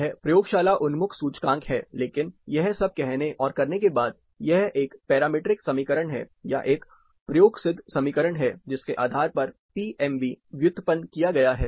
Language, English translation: Hindi, This is more lab oriented index, but all said and done, this is a parametric equation, or rather an empirical equation, which based on which the PMV is derived